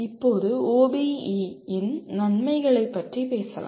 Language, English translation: Tamil, Now, let us talk about advantages of OBE